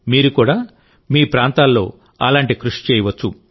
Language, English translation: Telugu, You too can make such efforts in your respective areas